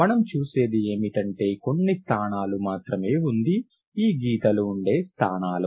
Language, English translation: Telugu, What you see is that there are only certain positions, line positions